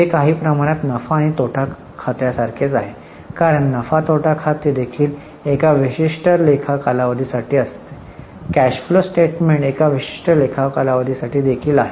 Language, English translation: Marathi, This is somewhat similar to P&L because P&L is also for a particular accounting period, cash flow statement is also for a particular accounting period unlike a balance sheet